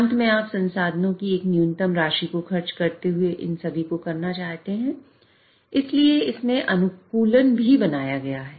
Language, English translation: Hindi, And lastly you also want to do all this while consuming minimum amount of resources so there is sort of an optimization also built in